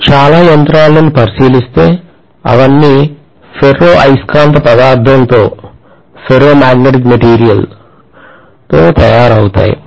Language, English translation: Telugu, If you look at most of the machines, they are all made up of ferromagnetic material